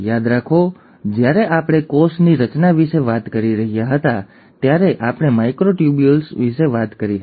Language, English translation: Gujarati, Remember we spoke about microtubules when we were talking about cell structure